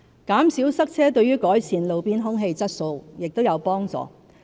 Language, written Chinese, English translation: Cantonese, 減少塞車亦有助改善路邊空氣質素。, Reducing traffic congestion also helps improve roadside air quality